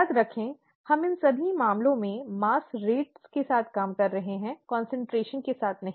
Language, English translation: Hindi, Remember, we are dealing with mass rates in all these cases, not concentrations